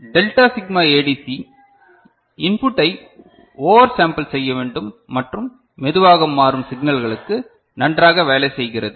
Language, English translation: Tamil, Delta Sigma ADC needs to oversample the input and works well for slow changing signals ok